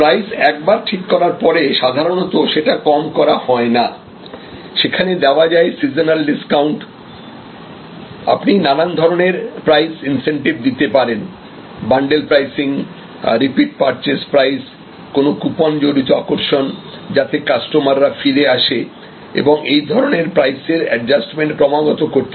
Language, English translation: Bengali, Price often actually a prices set and price is not normally reduced, but there can be seasonal discounts, you can give different times of pricing incentives, bundle pricing, repeat purchase pricing, coupon based attraction to the customer to come back and a purchase that sort of price adjustment strategies can be there